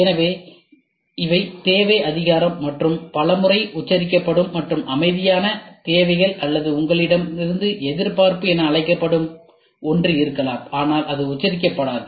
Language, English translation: Tamil, So, these are need recognition and many a times there will be spelt out and silent needs or there might be something called as expectation from you, but it will not be spelt out, ok